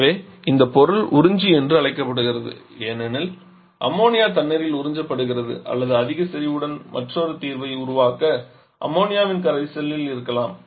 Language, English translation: Tamil, So, this component is called observer because the ammonia is observed in water or maybe in an aqua solution of ammonia to produce another solution is higher concentration